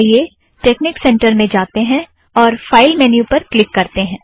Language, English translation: Hindi, So lets go to texnic center and click the file menu